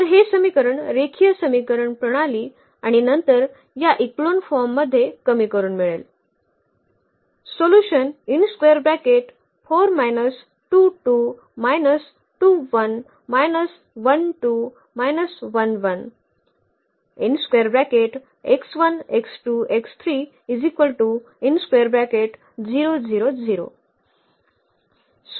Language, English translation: Marathi, So, we get this equation the system of linear equation and then by reducing to this echelon form